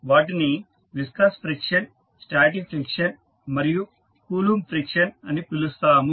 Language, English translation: Telugu, We call them viscous friction, static friction and Coulomb friction